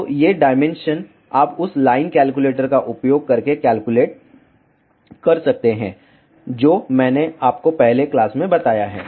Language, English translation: Hindi, So, these dimensions you can calculate using the line calculator that I have already told you in the first class